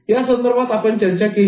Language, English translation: Marathi, We discussed these examples